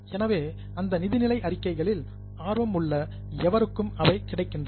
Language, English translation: Tamil, So, they are available for anybody who is interested in those financial statements